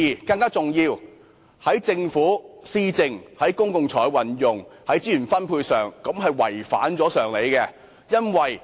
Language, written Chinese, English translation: Cantonese, 更重要的是，在政府施政、公共財政及資源分配方面，這建議違反常理。, More importantly from the perspectives of government administration public finance and resource distribution this proposal also flies in the face of common sense